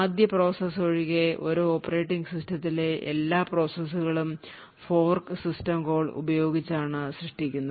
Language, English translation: Malayalam, What we do know is that all processes in an operating system are created using the fork system, except for the 1st process